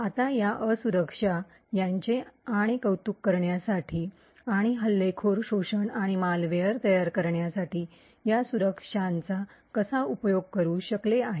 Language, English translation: Marathi, Now in order to appreciate these vulnerabilities and how attackers have been able to utilise these vulnerabilities to create exploits and malware